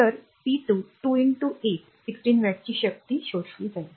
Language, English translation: Marathi, So, p 2 will be 2 into 8, 16 watt power absorbed right